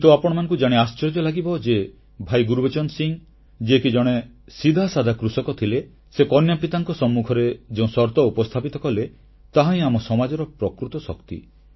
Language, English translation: Odia, But, you will be surprised to know that Bhai Gurbachan Singh was a simple farmer and what he told the bride's father and the condition he placed reflects the true strength of our society